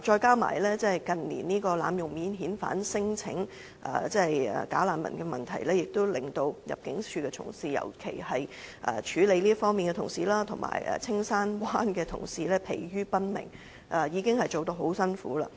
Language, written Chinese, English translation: Cantonese, 加上近年濫用提出免遣返聲請機制的假難民問題，令入境處的同事，尤其是處理這方面問題的同事及青山灣的同事疲於奔命，工作已經很辛苦。, Besides the bogus refugee problem involving the abuse of the non - refoulement claim mechanism in recent years has given much work to ImmD officers especially those responsible for this matter and also those working in the Castle Peak Bay Immigration Centre and their workload is already very heavy